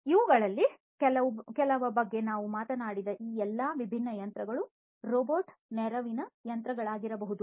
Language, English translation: Kannada, All these different machines that we talked about some of these may be robot assisted machines; some of these could be simple machines